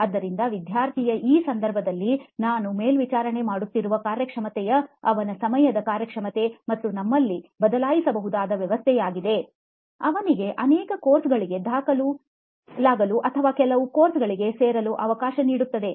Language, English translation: Kannada, So the performance that I am monitoring in this case of the student is his on time performance and the variable that we have will let him enrol for many courses or enrol for very few courses